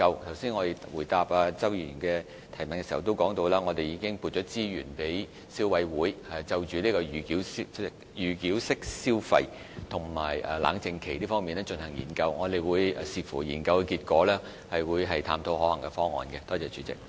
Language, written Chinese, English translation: Cantonese, 我剛才回答周議員的補充質詢時，也提到已經撥出資源，讓消委會就預繳式消費和冷靜期進行研究，並會視乎研究結果探討可行方案。, When replying to the supplementary question raised by Mr CHOW I said resources had been provided to allow CC to research on pre - payment mode of consumption and cooling - off period . The Government will also explore a feasible solution with reference to the research findings